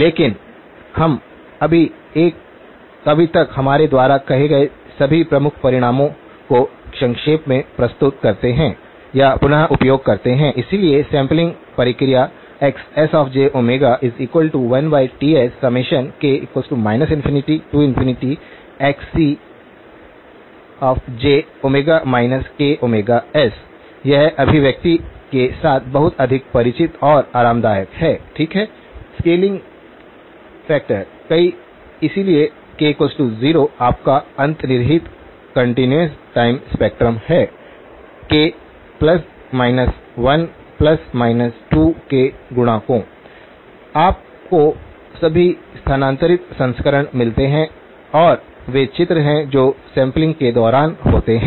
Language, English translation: Hindi, But let us just summarise the or recap all the key results that we have said so far, so the sampling process Xs of j omega, the spectrum of the sampled signal, we said has a scale factor 1 over Ts summation k equals minus infinity to infinity Xc of j omega minus k omega s again, this is more sort are very familiar and comfortable with the expression, okay the scaling factor the multiple, so k equal to 0 is your underlying continuous time spectrum, multiples of k plus minus 1, plus minus 2, you get all the shifted versions and those are the images that occur during sampling